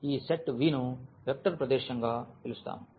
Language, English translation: Telugu, And the question is whether this V forms a vector space